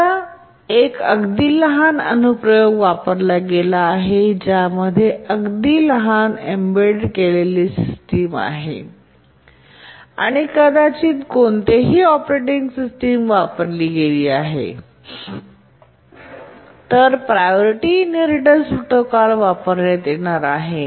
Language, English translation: Marathi, If you are using a very small application, a small embedded system which hardly has a operating system, then the priority inheritance protocol is the one to use